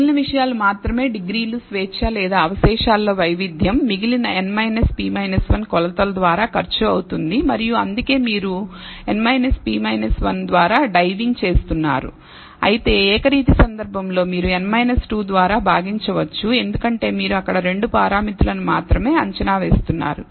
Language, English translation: Telugu, Only the remaining things are the degrees of freedom or the variability in the residuals is cost by the remaining n minus p minus 1 measurements and that is why you are diving by n minus p minus 1 whereas, in the univariate case you would have divided by n minus 2 because you are estimating only two parameters there